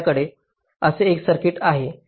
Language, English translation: Marathi, so we consider the circuit